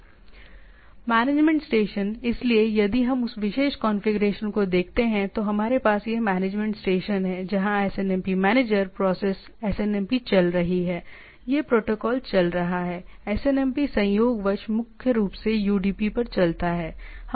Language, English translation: Hindi, The management station, so if we look at that particular configuration so, we have this management station, where SNMP manager process is running SNMP this protocol is running it runs, SNMP incidentally runs on primarily on UDP